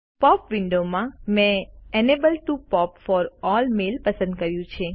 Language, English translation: Gujarati, In the POP download, I have selected Enable POP for all mail